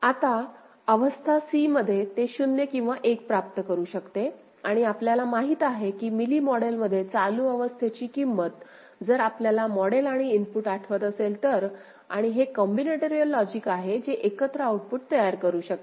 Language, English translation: Marathi, Now, at state c it can receive 0 or 1 and we know in Mealy model current state value, if you remember the model and the input and this is the combinatorial logic, together you can generate the output, right